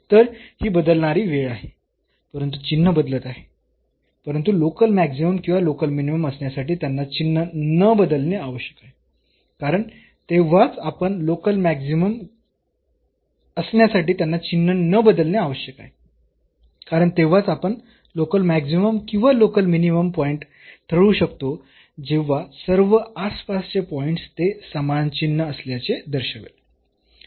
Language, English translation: Marathi, So, this is changing time, but changing its sign, but to have the local maximum or local minimum it should not change its sign, because then only we can determine this is a point of local maximum or local minimum when all the points in the neighborhood it behaves us with the same sign